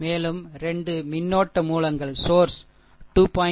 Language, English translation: Tamil, And 2 current sources are there 2